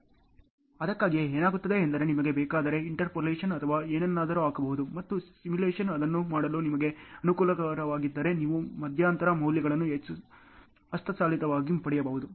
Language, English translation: Kannada, So, that is why what happens is if you want to you can also put an interpolation or something and you can get the intermediate values manually if you are not comfortable in doing it on simulation ok